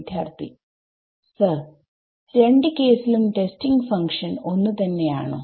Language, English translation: Malayalam, Sir in the testing function is same in both the cases